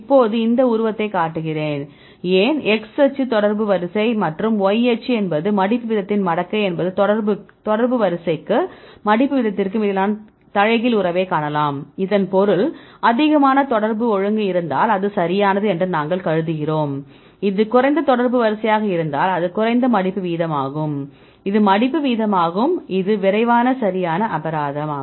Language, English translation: Tamil, Now, I show these figure, why x axis is the contact order and y axis is the logarithmic of the folding rate you can see the inverse relationship between the contact order and the folding rate so; that means, what we assumption what we made that is correct if you have more contact order right; that is less folding rate if it is less contact order is folding rate is it folds fast right fine